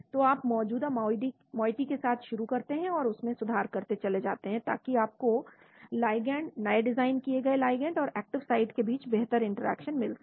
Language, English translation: Hindi, so you start with an existing moiety and keep on improving so that you get a better interaction between the ligand, new designed ligand, and the active site